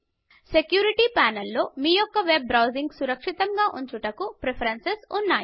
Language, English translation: Telugu, The Security panel contains preferences related to keeping your web browsing safe